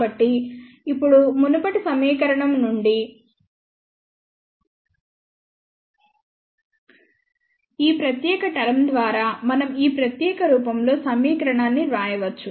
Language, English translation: Telugu, So, now, from the previous equation dividing that by this particular term we can write equation one in this particular form